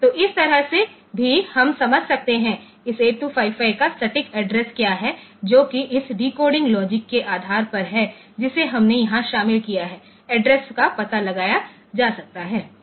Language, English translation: Hindi, So, this way also, you can figure out like; what is the exact address of this 8255 that based on the based on this decoding logic that we have incorporated here the address can be found out